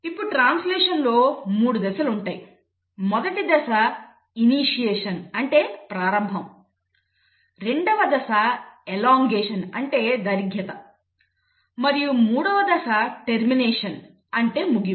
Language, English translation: Telugu, Now translation has 3 stages; the first stage is initiation, the second stage is elongation and the third stage is termination